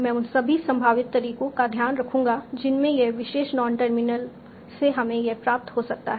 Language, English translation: Hindi, So I will take care of all the possible ways in which this particular non terminal can derive this